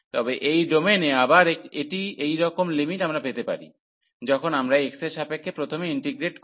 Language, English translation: Bengali, But, in this domain again it is a same similar limits we can get, when we integrate first with respect to x